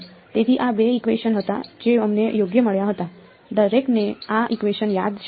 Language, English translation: Gujarati, So, these were the two equations that we had got right, everyone remembers these equations